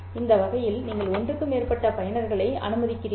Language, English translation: Tamil, That way you are allowing more than one user